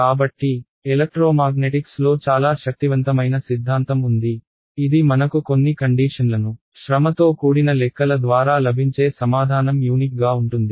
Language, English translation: Telugu, So, thankfully for us there is a very powerful theorem in electromagnetics which guarantees us, that under certain conditions the answer that we get after our laborious calculations will be unique